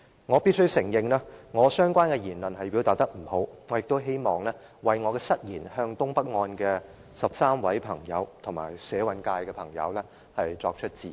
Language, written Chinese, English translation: Cantonese, 我必須承認，我的相關言論表達欠佳，我也希望為我的失言向東北案的13位朋友和社運界的朋友致歉。, I must admit that my relevant remark was poorly phrased . I also wish to apologize to the 13 friends in the NENT case and activists in social movement for my inappropriate remark